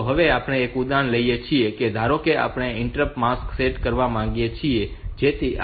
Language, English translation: Gujarati, So, we take an example; suppose we want to set the interrupt marks of so that this 5